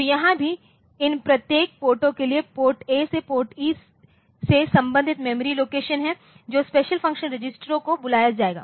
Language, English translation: Hindi, So, here also for each of these ports A through E there are corresponding memory location so, which will call special function registers ok